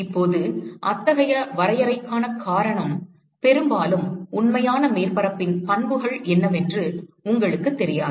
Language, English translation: Tamil, Now the reason for such a definition is often you may not know what are the properties of a real surface